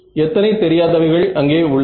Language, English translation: Tamil, So, how many unknowns are in this problem